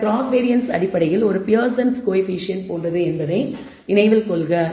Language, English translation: Tamil, So, remember you this cross covariance is essentially like a Pearson’s coefficient